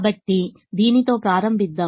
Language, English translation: Telugu, so let us start with this